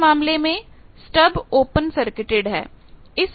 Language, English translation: Hindi, Now in this case stubs are open circuited